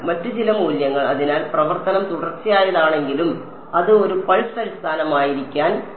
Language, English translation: Malayalam, Some other value so, even though the function is continuous by forcing it to take to be on a pulse basis I am forcing it to be become discontinuous